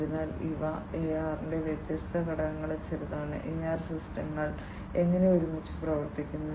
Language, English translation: Malayalam, So, these are some of the different components of AR and how together the AR systems work ok